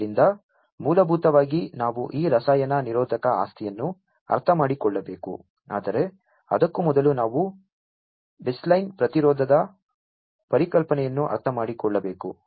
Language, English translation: Kannada, So, basically we need to understand this chemi resistive property, but before that we need to understand the concept of the baseline resistance